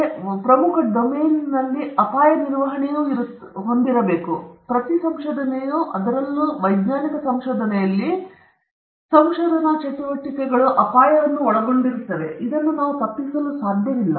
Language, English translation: Kannada, And again, another very important domain is risk management, because every research involves, particularly if it is scientific research, many research activities involve the question of risk and we cannot avoid that